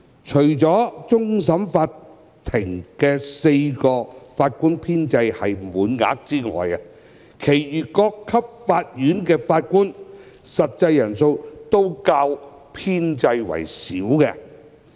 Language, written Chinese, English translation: Cantonese, 除了終審法院4個法官編制是滿額外，其餘各級法院法官的實際人數均較編制為少。, Apart from the four Judges of CFA which is at full strength the strength falls short of the establishment at the remaining various levels of court